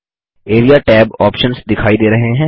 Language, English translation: Hindi, The Area tab options are visible